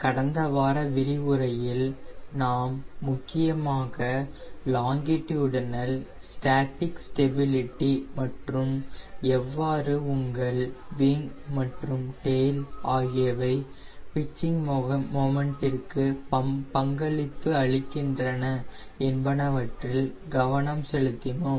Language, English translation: Tamil, in the last week lecture we mainly focused on longitudinal static stability and how your wing and tail contributed to pitching moment